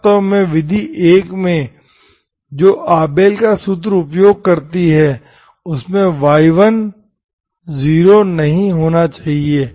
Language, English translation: Hindi, Actually in the method 1 which used Abel’s formula, in that y1 should not be 0